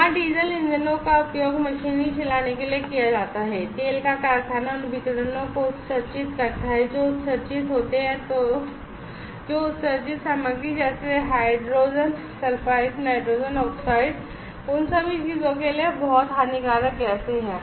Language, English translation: Hindi, There the diesel engines that are used to run the machineries, there in the oil factory those emits such radiation the exerts that are emitted contents very harmful gases like hydrogen sulphides, nitrogen oxides, all those things